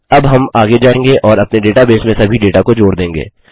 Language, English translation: Hindi, Now we will go ahead and add all our data into our data base